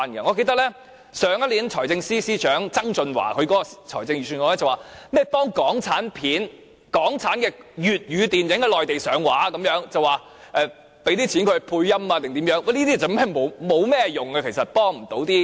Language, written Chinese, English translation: Cantonese, 我記得去年前財政司司長曾俊華在財政預算案中，提到會協助港產片及港產粵語電影在內地上畫，提供資金讓他們配音等，這其實是無甚用處，幫不上忙的。, When John TSANG the former Financial Secretary presented the Budget last year I remember he said that the Government would assist locally - produced films and locally - produced Cantonese films to distribute on the Mainland and would provide funding for dubbing etc . Such measures are actually not useful and cannot help